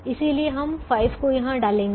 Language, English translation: Hindi, so we take this five